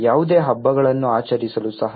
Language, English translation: Kannada, Even to celebrate any festivals